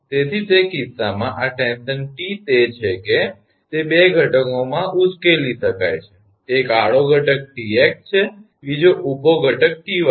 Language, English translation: Gujarati, So, in that case this tension T it is it can be resolved T in two components one is horizontal component Tx another is vertical component Ty